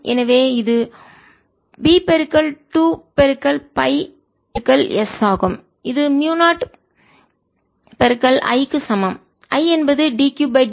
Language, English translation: Tamil, so this is b into two pi s, which is equals to mu naught i is d q by d t